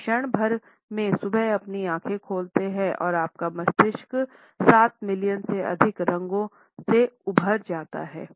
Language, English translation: Hindi, Moment you open your eyes in the morning, your brain is flooded with over seven million colors